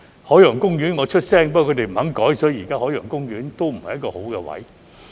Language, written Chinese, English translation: Cantonese, 海洋公園，我有發聲，不過他們不肯改，所以現時海洋公園的不是好位置。, I also wanted to apply for running a food truck at that time . As regards Ocean Park I had spoken up but they refused to change the location and thus the location at Ocean Park is not a good one